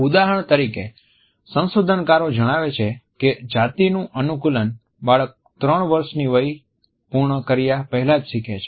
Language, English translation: Gujarati, For example, researchers tell us that gender conditioning is imbibed by a child before he or she has completed 3 years of age